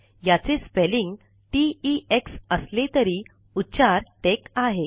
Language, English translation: Marathi, Although it has the spelling t e x, it is pronounced tec